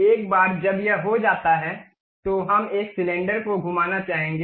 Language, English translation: Hindi, Once it is done, we would like to revolve a cylinder